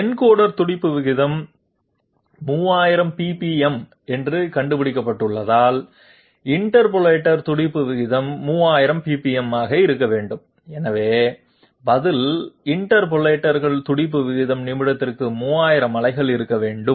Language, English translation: Tamil, Since encoder pulse rate has been found out to be 3000, interpolator pulse rate also must be 3000, and so answer is interpolator pulse rate must be 3000 pulses per minute